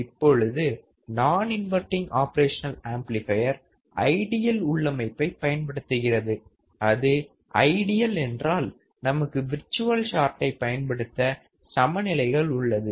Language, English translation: Tamil, Now, the non inverting op amp is using ideal configurations, if it is ideal, then we have equal conditions to apply for virtual short